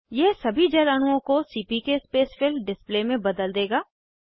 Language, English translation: Hindi, This will convert all the water molecules to CPK Spacefill display